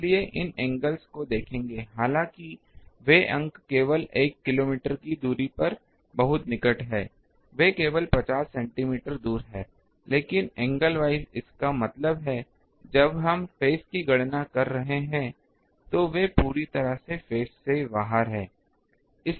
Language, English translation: Hindi, So, that will be see the these angles they though the points are very near only over a distance of one kilometer, they are only 50 centimeter away, but the angle wise; that means, when we are calculating phase they are completely out of phase